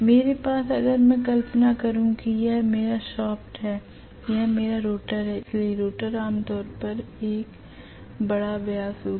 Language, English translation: Hindi, I am going to have basically if here is my shaft imagine that this is my shaft okay, in here is my rotor, rotor will be generally having a higher diameter